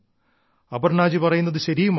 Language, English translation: Malayalam, Aparna ji is right too